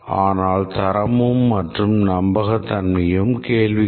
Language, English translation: Tamil, But quality and reliability become a question